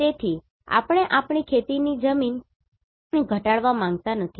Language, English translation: Gujarati, So, we do not want to reduce our agricultural land